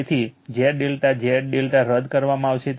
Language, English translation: Gujarati, So, Z delta Z delta will be cancelled